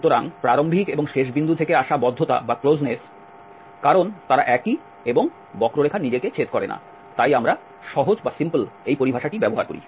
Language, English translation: Bengali, So, the closeness coming from the initial and the end points because they are same and the curve does not intersect itself that is what we use this terminology simple